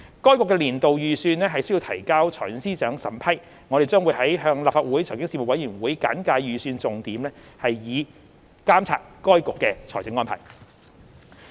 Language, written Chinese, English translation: Cantonese, 該局的年度預算須提交財政司司長審批，我們將會向立法會財經事務委員會簡介預算重點，以監察該局的財政安排。, The annual budgets of FRC are required to be submitted to the Financial Secretary for approval . We will brief the Legislative Council Panel on Financial Affairs on the key points of the budgets so as to monitor the financial arrangements of FRC